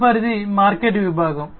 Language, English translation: Telugu, The next is the market segment